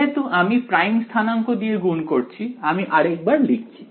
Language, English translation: Bengali, So, because I am multiplying by prime coordinates, I can this is just once again I will write it